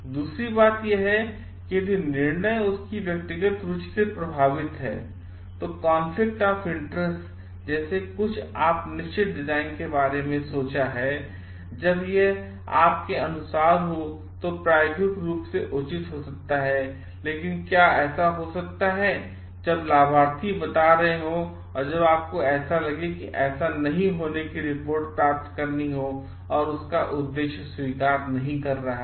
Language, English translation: Hindi, Second is if there is a like conflict of interest happening like you have thought of certain design but when it which may be according to you is experimental sound, but may it may so happen like when the beneficiaries are telling, then you find like you are getting reports of not like it is not suiting their purpose